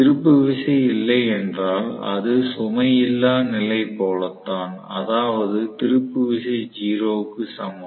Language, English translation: Tamil, So, if there is no torque it is as good as no load condition that means that is torque equal to 0